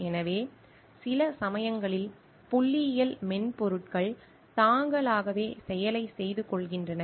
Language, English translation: Tamil, So, sometimes the statistical softwares themselves they are doing the process for themselves